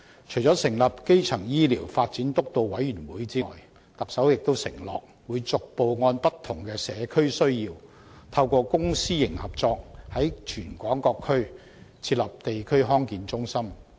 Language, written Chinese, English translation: Cantonese, 除成立基層醫療健康發展督導委員會外，特首又承諾會逐步按不同的社區需要，透過公私營合作，在全港各區設立地區康健中心。, Apart from forming the Steering Committee on Primary Healthcare Development the Chief Executive also undertook to set up District Health Centres one after another in various districts of Hong Kong based on different community needs through public - private partnership